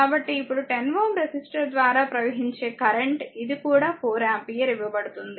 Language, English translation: Telugu, So now so, current through 10 ohm resistor is this is also given 4 ampere